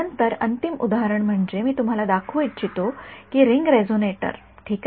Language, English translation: Marathi, Then the final example I want to show you is modes of ring resonator ok